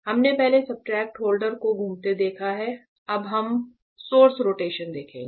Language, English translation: Hindi, We have seen the substrate holder rotation before, now we will see the source rotation